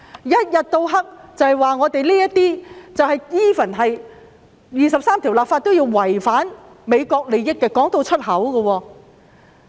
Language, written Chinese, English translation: Cantonese, 他們不斷指為《基本法》第二十三條立法違反美國利益，竟然宣諸於口。, By reiterating that the legislation of Article 23 of the Basic Law would jeopardize the interests of the United States they have expressly raised their ulterior concern